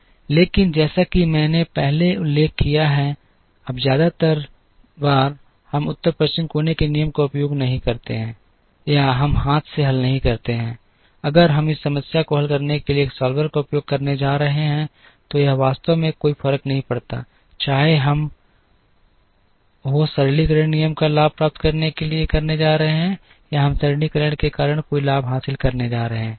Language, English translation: Hindi, But, as I mentioned earlier, now most of the times we do not use North West corner rule or we do not solve by hand, if we are going to use a solver to solve this problem, it actually does not matter, whether we are going to gain advantage of the simplification rule or we are not going to gain any advantage, because of the simplification